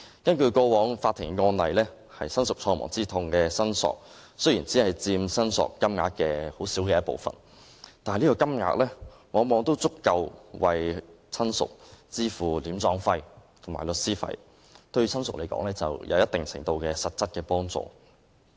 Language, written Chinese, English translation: Cantonese, 根據過往的法庭案例，親屬喪亡之痛的申索雖然只佔申索金額一個很小的部分，但往往已足夠為親屬支付殮葬費和律師費，對親屬而言，有一定程度的實質幫助。, If we look at previous court cases we will find that claims for bereavement damages only make up a small portion of the total amounts of claims . Yet the sum is generally sufficient for relatives to pay for burial expenses and lawyers fees and is really helpful